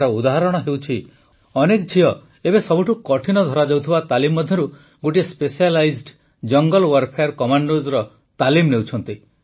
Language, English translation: Odia, For example, many daughters are currently undergoing one of the most difficult trainings, that of Specialized Jungle Warfare Commandos